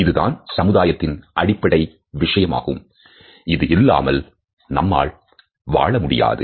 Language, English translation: Tamil, This is a fundamental function of human society without which we cannot exists